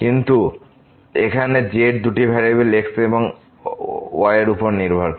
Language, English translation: Bengali, But now here the z depends on two variables x and y